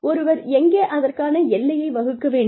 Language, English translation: Tamil, And, where does one draw the line